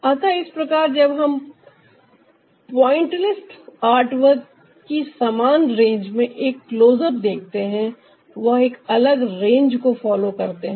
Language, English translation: Hindi, so that's how, when we see a close up of, ah, the same range in the pointillist artwork, they follow a different range